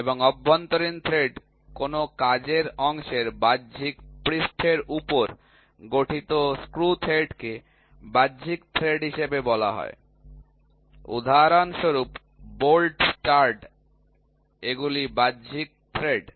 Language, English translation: Bengali, And, internal thread the screw thread formed on the external surface of a work piece is called as external thread for example, bolt stud these are external threads